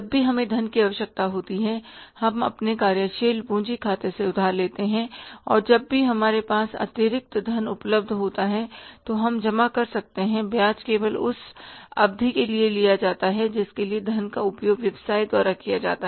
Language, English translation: Hindi, Whenever we need the funds, we borrow from our working capital account and whenever we have the surplus funds available we can deposit interest is charged only for the period for which the funds are used by the business